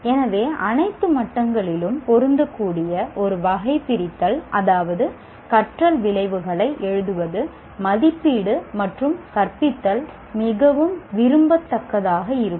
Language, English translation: Tamil, So a taxonomy that is applicable at all levels, that is to write learning outcomes, assessment and teaching will be very desirable